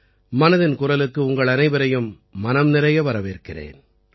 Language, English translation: Tamil, A warm welcome to all of you in 'Mann Ki Baat'